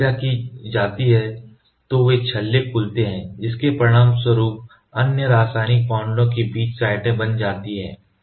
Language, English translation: Hindi, When reacted, these rings open resulting in sites for other chemical bonds